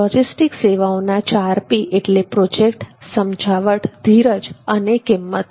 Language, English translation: Gujarati, the 4Ps of logistics services are project the persuasion patience and the price